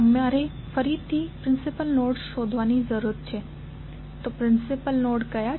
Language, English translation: Gujarati, You have to again find out the principal nodes, so what are the principal nodes